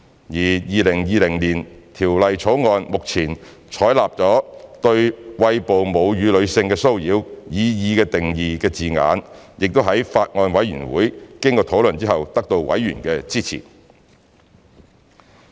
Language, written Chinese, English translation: Cantonese, 而《條例草案》目前採納"對餵哺母乳的女性的騷擾"擬議定義的字眼亦在法案委員會經討論後得到委員的支持。, The wording of the proposed definition of harassment of breastfeeding women currently adopted in the Bill was also supported by members of the Bills Committee after discussion